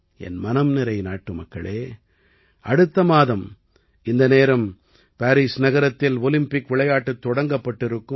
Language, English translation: Tamil, My dear countrymen, by this time next month, the Paris Olympics would have begun